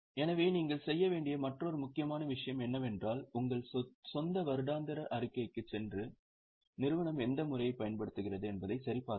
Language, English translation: Tamil, Another important thing you should do is go to your own annual report and check which method the company is using